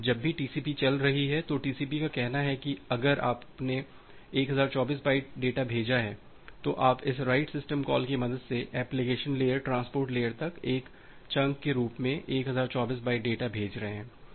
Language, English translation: Hindi, Now whenever the TCP is running, TCP say even if you have send some just think of you have sent 1024 byte data you are sending 1024 byte data as a single chunk from application layer to the transport layer with the help of this write system call